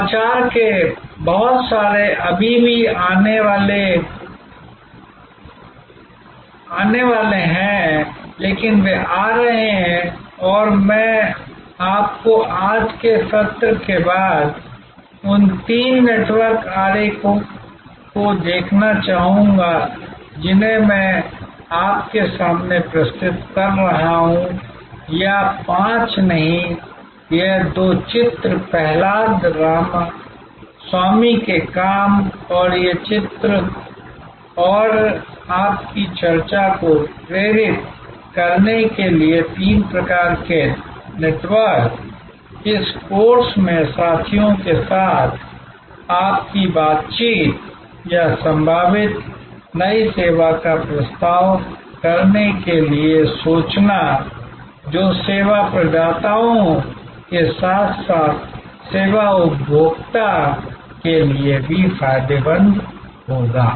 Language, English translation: Hindi, Lot of innovation are still to come, but they are coming and I would like you after today’s session to look at those three network diagram that I am presented to you or rather five, this two diagram from Prahalada Ramaswamy work and these three diagrams and these three types of networks to inspire your discussion, your interaction with peers in this course or to think propose possible new service that will be beneficial that service providers as well as service consumer